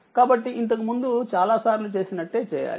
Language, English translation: Telugu, So, same as before several times we have done it